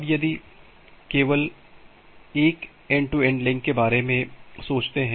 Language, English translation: Hindi, Now, if you just think about an end to end link